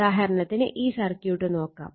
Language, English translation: Malayalam, For example, for example, say take this circuit